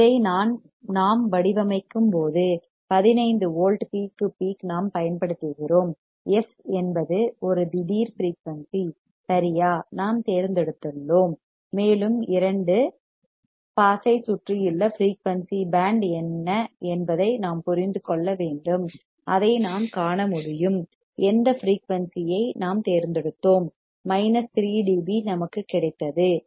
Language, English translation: Tamil, When we design this thing and we apply a fifteen volts peak to peak f is a sudden frequency right, that we have selected and we have to understand that what is the band of frequency that is around two pass, we will be able to see that whatever frequency we have selected that minus 3 dB that we were get minus 3 dB